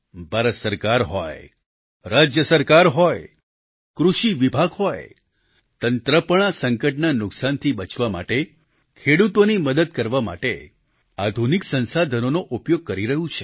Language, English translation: Gujarati, Be it at the level of the Government of India, State Government, Agriculture Department or Administration, all are involved using modern techniques to not only help the farmers but also lessen the loss accruing due to this crisis